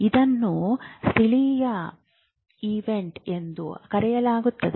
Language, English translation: Kannada, So that is called a local event